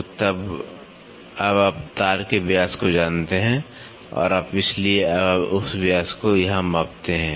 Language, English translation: Hindi, So, now, you know the diameter of the wire and you so, now, you measure that the diameter here